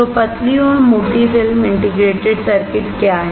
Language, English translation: Hindi, So, what are thin and thick film integrated circuits